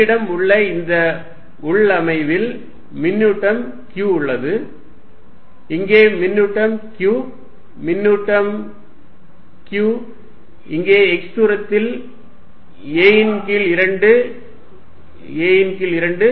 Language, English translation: Tamil, I have this configuration charge Q here, charge Q here, charge q here at a distance x a by 2 a by 2